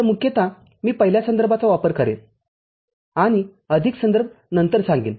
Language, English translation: Marathi, So, mostly I shall be using the first reference and more references I shall share later